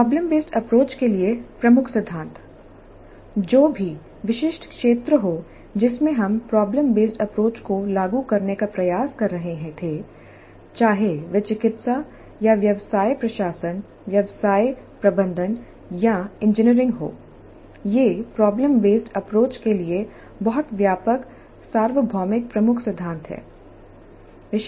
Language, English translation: Hindi, Whatever be the specific domain in which we are trying to implement the problem based approach, whether it is medical or business administration, business management or engineering, these are very broad universal key principles for problem based approach